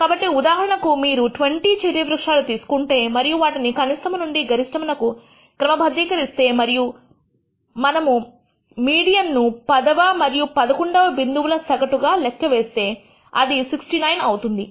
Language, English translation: Telugu, So, as an example if you take the 20 cherry trees and sort them out, sort it from the lowest to highest value, and we try to compute the median it turns out the median is the average of the tenth and eleventh point which is 69